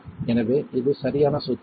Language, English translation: Tamil, So, it is the right the right formula